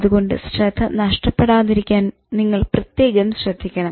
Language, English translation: Malayalam, So, it's important that you should focus and not get distracted